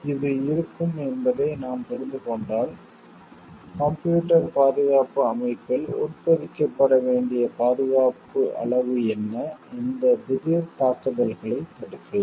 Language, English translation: Tamil, If we understand this will be there then what is the degree of security that should be embedded in the computer security system, so that we can prevent these sudden attacks